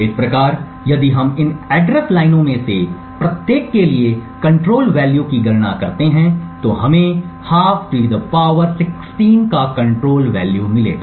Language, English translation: Hindi, Thus, if we compute the control value for each of these address lines we would get a control value of (1/2) ^ 16